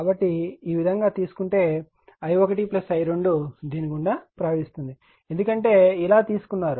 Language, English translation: Telugu, So, if you take like this then i 1 plus i 2 flowing through this right, because you have taken like this